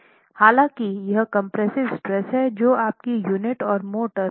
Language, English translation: Hindi, However, it is the compressive stress that will dictate your choice of unit and motor strength